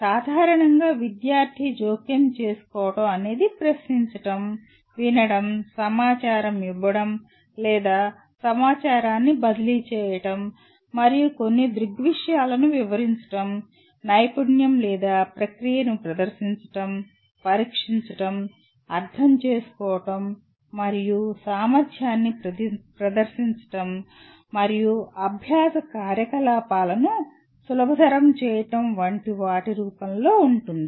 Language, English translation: Telugu, The interventions commonly take the form of questioning, listening, giving information or what we call transferring information and explaining some phenomenon, demonstrating a skill or a process, testing, understanding and capacity and facilitating learning activities such as, there is a whole bunch of them